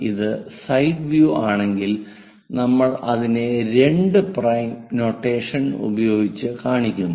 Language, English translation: Malayalam, If it is side view, we show it by two prime notation